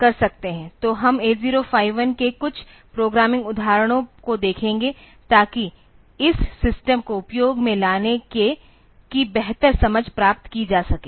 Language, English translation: Hindi, So, we will see some programming examples of 8051 to get a better understanding of how this system can be made into use